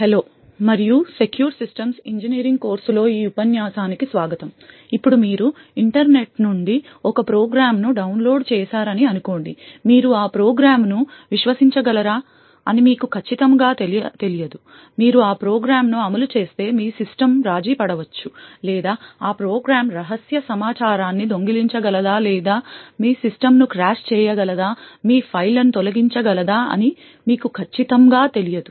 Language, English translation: Telugu, Hello and welcome to this lecture in the course for Secure Systems Engineering, now let us say that you have downloaded a program from the internet, you are not very certain whether you can trust that program, you are not certain that if you run that program your system may get compromised or let us say you are not certain whether that program may steal secret information or may crash your system, may delete your files and so on